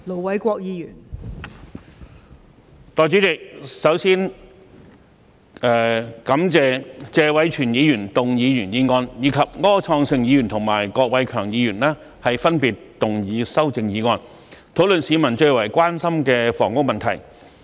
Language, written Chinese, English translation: Cantonese, 代理主席，首先感謝謝偉銓議員動議原議案，以及柯創盛議員及郭偉强議員分別動議修正案，討論市民最為關心的房屋問題。, Deputy President before all else I would like to thank Mr Tony TSE for moving the original motion as well as Mr Wilson OR and Mr KWOK Wai - keung for moving their amendments respectively so that we can discuss the housing issue which is a matter of the utmost concern to the public